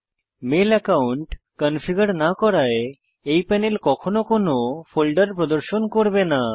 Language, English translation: Bengali, As we have not configured a mail account yet, this panel will not display any folders now